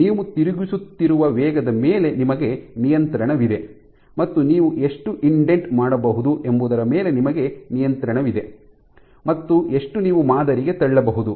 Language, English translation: Kannada, So, you have control over the rate at which you are rotating you have also control over how much you can indent, you can push into the sample